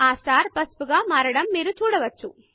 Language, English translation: Telugu, You see that the star turns yellow